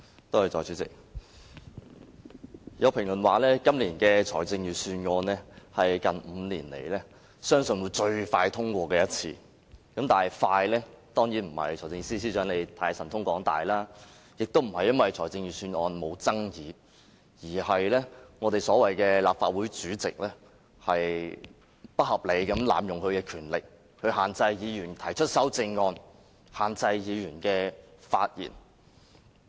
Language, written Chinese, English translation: Cantonese, 代理主席，有評論說今年的財政預算案相信是近5年來最快獲得通過的一次，但快的原因當然不是因為財政司司長神通廣大，也不是因為預算案沒有爭議，而是我們所謂的立法會主席不合理地濫用權力，限制議員提出修正案，以及限制議員發言。, Deputy Chairman there is one comment that this Budget may easily be the one Budget that is passed most quickly in five years . But this is not because the Financial Secretary is very competent and the Budget is not contentious . All is simply because this so - called President of the Legislative Council has abused his power placing restrictions on Members amendments and speeches